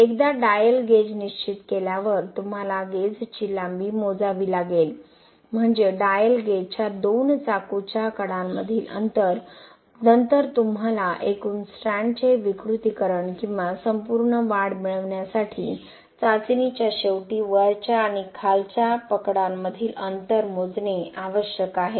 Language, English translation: Marathi, Once the dial gauge is fixed you need to measure the gauge length, that is the distance between the two knife edges of the dial gauge, then you need to measure the gap length that is the distance between the upper and lower grip to get the total deformation or total elongation of the strand at the end of the testing